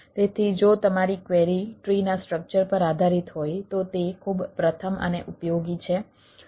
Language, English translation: Gujarati, so if your query is dependent on the tree structure, it is pretty first and useful